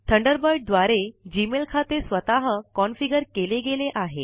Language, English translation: Marathi, Gmail accounts are automatically configured by Thunderbird